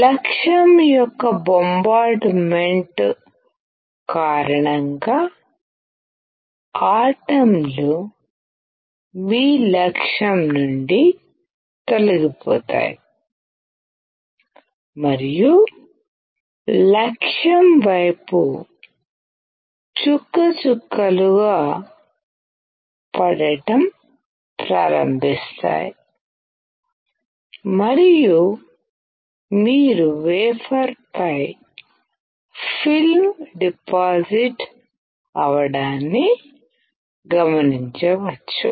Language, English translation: Telugu, Because of the bombardment of the target, the atoms would dislodge from your target and will start drop by drop falling towards the target and you can see a film getting deposited on the wafer